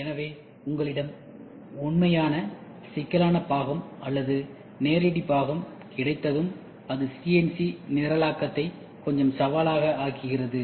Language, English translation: Tamil, So, once you have a real complex part or a live part, it makes CNC programming itself little challenging